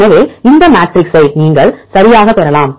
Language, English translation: Tamil, So, you can derive this matrix right